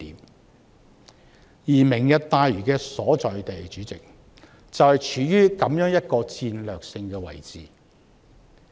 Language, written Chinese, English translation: Cantonese, 代理主席，"明日大嶼願景"的所在地，就是處於如此的戰略性位置。, Deputy President the location of the Lantau Tomorrow Vision is at such a strategic spot